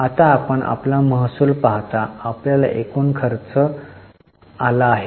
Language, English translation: Marathi, Now you see you have revenue and you have got total expenses